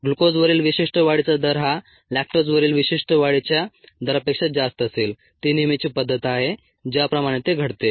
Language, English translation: Marathi, this specific growth rate on glucose would be higher then the specific rate growth rate on lactose